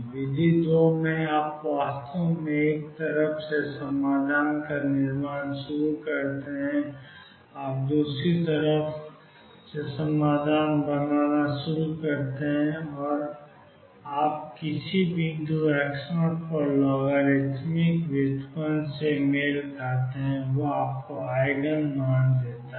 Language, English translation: Hindi, In method 2, you actually start building up the solution from one side you start building up the solution from the other side and you match a logarithmic derivative at some point x 0 once that matches that gives you the Eigen value